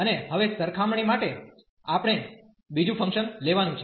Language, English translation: Gujarati, And now for the comparison we have to take another function